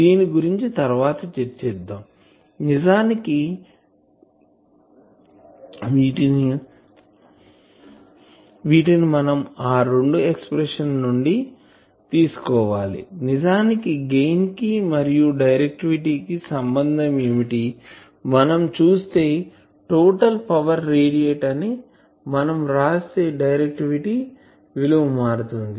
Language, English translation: Telugu, So, we will discuss these because this is actually will bring that if you look at the two expressions , that actually the relation between gain and directivity is that you see that change is taking place here in case of directivity here we have written total power radiated , here we are writing input power accepted